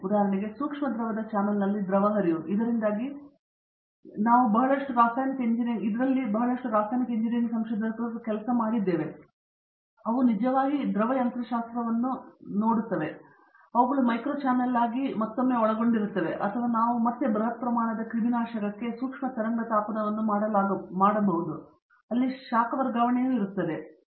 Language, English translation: Kannada, For example, fluid flow in a micro fluidic channel, so again we have lots of chemical engineering researchers doing work on this, they are actually doing fluid mechanics, but they are doing it for a micro channel where again multiphase may be involved or we have also heat transfer where micro wave heating is being done for a very large scale sterilization